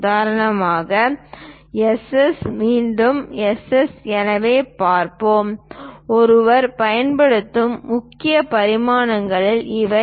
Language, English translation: Tamil, For example, let us look at S, S again S, S so; these are the main dimensions one uses